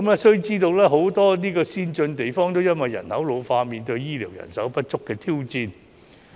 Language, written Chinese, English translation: Cantonese, 須知道很多先進地方也因為人口老化而面對醫療人手不足的挑戰。, We should know that many advanced places are also being challenged by the shortage of healthcare manpower in the face of the ageing population